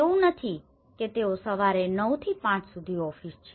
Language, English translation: Gujarati, And it is not like they are going morning 9:00 to 5:00 is an office